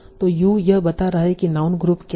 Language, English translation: Hindi, So it is telling you what is a noun group